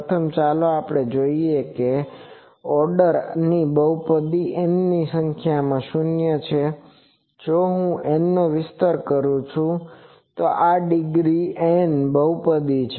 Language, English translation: Gujarati, Firstly, let us see this polynomial of order n has n number of zeros, this is a polynomial of degree N if I expand capital N